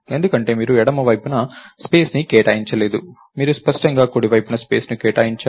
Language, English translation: Telugu, Because, you didn't allocate space on the left side, you explicitly allocated space on the right side